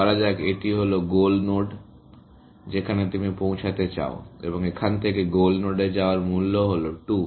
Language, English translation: Bengali, Let us say, this is goal node that you want to reach, and the cost of going to goal node from here, is 2